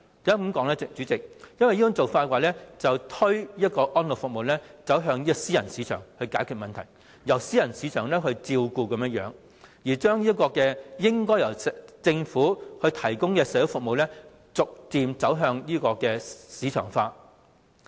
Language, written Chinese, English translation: Cantonese, 因為這種做法會把安老服務推向私人市場，變成由私人市場照顧來解決問題，把應該由政府提供的社會服務逐漸推向市場化。, It is because the approach will only push elderly services into private market and thereby the problem is resolved by way of soliciting services from the private market and gradually the responsibility of Government - driven social services is pushed to market - driven services